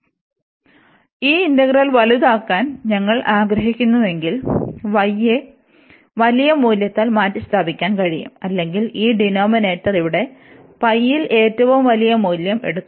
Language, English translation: Malayalam, So, if we want to make this integral larger, then some other integral here, so we can replace this y by the larger value or this denominator will be the taking the largest value here at pi here